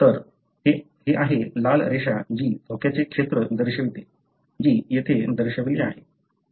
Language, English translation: Marathi, So, this is the red line that shows the danger zone that is denoted here